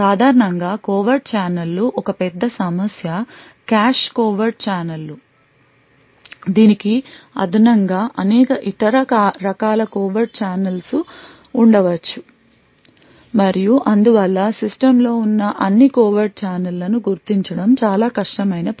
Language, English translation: Telugu, Covert channels in general are a big problem the cache covert channels are just one example in addition to this there could be several other different types of covert channels and thus identifying all the covert channels present in the system is quite a difficult task